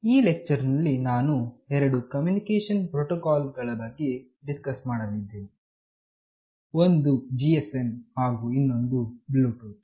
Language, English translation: Kannada, In this lecture, I will be discussing about two communication protocols, one is GSM and another is Bluetooth